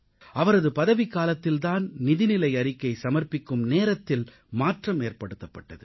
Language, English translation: Tamil, It was during his tenure that the timing of presenting the budget was changed